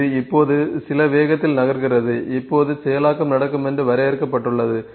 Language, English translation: Tamil, It is now moving at some speed that is defined now processing would happen